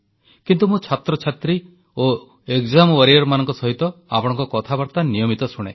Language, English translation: Odia, But I regularly listen to your conversations with students and exam warriors